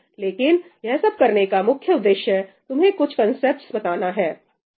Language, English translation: Hindi, But the whole purpose of doing all this is to expose you to some of these concepts